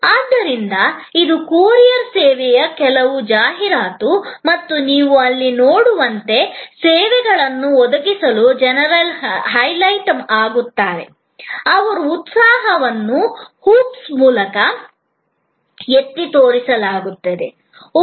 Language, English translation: Kannada, So, this is some advertisement of the courier service and as you can see here, the people who provides services are highlighted, their eagerness is highlighted, the jumbling through the hoops that is highlighted